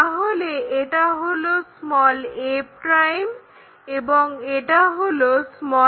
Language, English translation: Bengali, This is a', this is a